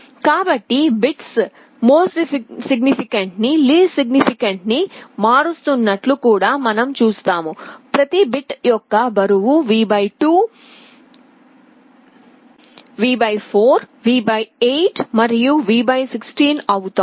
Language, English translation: Telugu, So, you see as the bits are changing MSB to LSB the weight of each of the bit is becoming V / 2, V / 4, V / 8, and V / 16